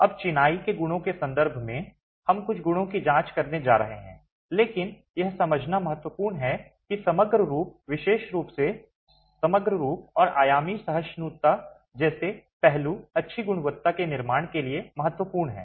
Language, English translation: Hindi, Okay, now in terms of the properties of masonry, we are going to be examining a few properties but it is important to understand that aspects such as the overall form, particularly the overall form and dimensional tolerances are key to good quality construction